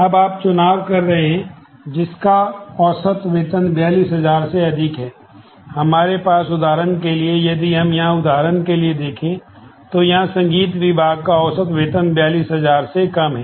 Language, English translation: Hindi, So, of all that we have for example, if we look in here for example, in this music department average salary is less than 42000